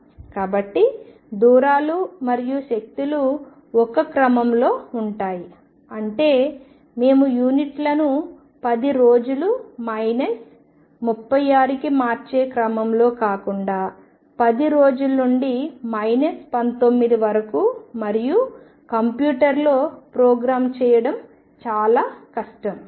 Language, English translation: Telugu, So, that the distances and energies are of the order of one; that means, we changing units rather than of the order of being 10 days to minus 36; 10 days to minus 19 and so on that will be very difficult to program in a computer